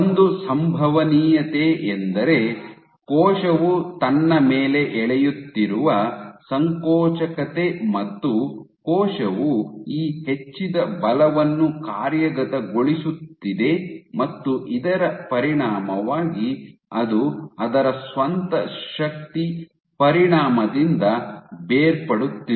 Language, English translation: Kannada, One is the contractility in which the cell is pulling on itself the cell is executing this increased amount of forces as a consequence of which it is detaching under the effect of it is own force ok